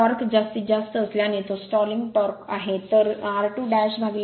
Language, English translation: Marathi, Since the torque is maximum that is the stalling torque right